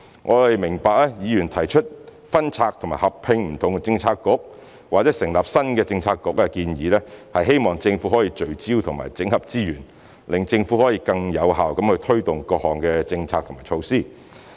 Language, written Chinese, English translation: Cantonese, 我們明白議員提出分拆及合併不同政策局或成立新的政策局的建議，是希望政府可以聚焦和整合資源，讓政府可以更有效地推動各項政策和措施。, We understand that the aim of Members proposals on splitting or merging different bureaux or establishing a new bureau is to enable the Government to focus and consolidate resources for a more effective implementation of policies and measures